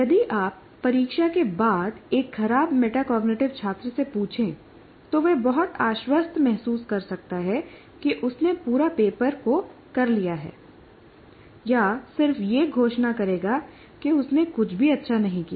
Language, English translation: Hindi, If you ask a poor metacognitive student, after the test, he may feel very confident that he has asked the entire paper, or otherwise he will just declare that I haven't done anything well